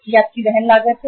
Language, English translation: Hindi, This is your carrying cost